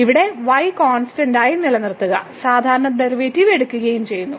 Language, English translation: Malayalam, So, keeping here constant; treating constant and taking the usual derivative